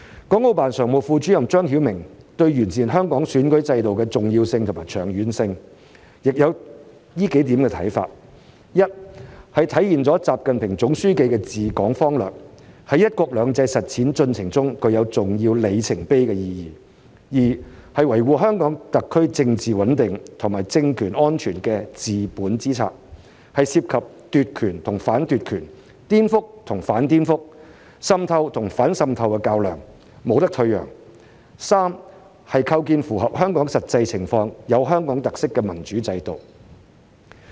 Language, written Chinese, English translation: Cantonese, 港澳辦常務副主任張曉明對完善香港選舉制度的重要性和長遠性，亦有以下數點看法：一、是體現了習近平總書記的治港方略，在"一國兩制"實踐進程中具有重要里程碑意義；二、是維護香港特區政治穩定和政權安全的治本之策，是涉及奪權與反奪權、顛覆與反顛覆、滲透與反滲透的較量，沒有退讓的餘地；三、是構建符合香港實際情況、有香港特色的民主制度。, ZHANG Xiaoming Deputy Director of HKMAO has the following views on the importance and sustainability of improving the electoral system of Hong Kong . First it embodies the strategies of General Secretary XI Jinping for governing Hong Kong which is an important milestone in the course of implementing one country two systems . Second this is a fundamental solution for safeguarding the political stability and security of SAR